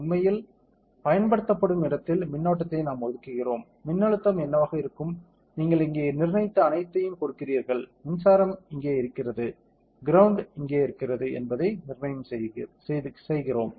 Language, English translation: Tamil, We fix the electric current where actually be applied, what will be the voltage that you will give everything you have fixed like here, where is the electric potential, where is the ground all those things